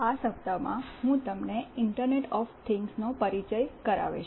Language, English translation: Gujarati, In this week, I will be introducing you to a concept called Internet of Things